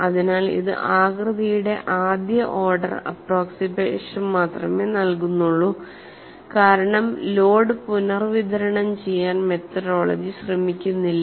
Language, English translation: Malayalam, So, it gives only a first order approximation of the shape, because the methodology does not attempt to redistribute the load